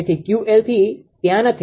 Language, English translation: Gujarati, So, Q l 3 is not there